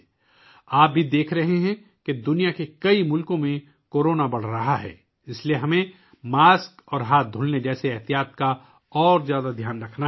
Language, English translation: Urdu, You are also seeing that, Corona is increasing in many countries of the world, so we have to take more care of precautions like mask and hand washing